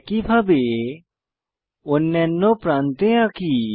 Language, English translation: Bengali, Likewise let us draw on the other edge